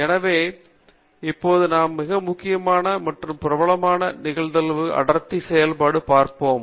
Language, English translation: Tamil, So, now, we will be looking at one of the most important and popular Probability Density Function